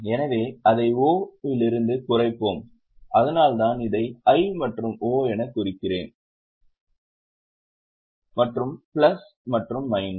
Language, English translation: Tamil, That's why I have marked it as I and O and plus and minus